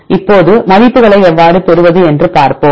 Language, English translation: Tamil, Now, we will see how to obtain the values